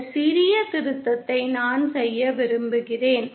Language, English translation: Tamil, Just I want to make this small correction